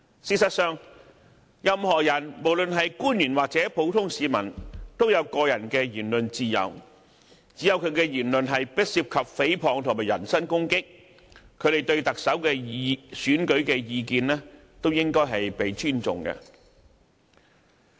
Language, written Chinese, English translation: Cantonese, 事實上，任何人，無論是官員或普通市民，都有個人的言論自由，只要其言論不涉及誹謗和人身攻擊，他們對特首選舉的意見都應該受到尊重。, In fact anyone be he an official or a common person has his freedom of speech . So long as the speech involves no defamation or personal attack their views on the Chief Executive Election should be respected